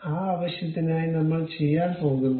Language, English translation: Malayalam, For that purpose, what we are going to do